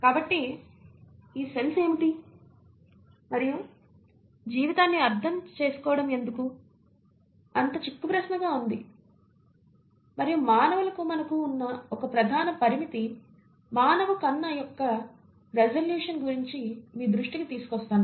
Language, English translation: Telugu, So what are these cells and why it has been such an enigma to understand life, and let me bring your attention to one major limitation that we have as humans is a resolution of a human eye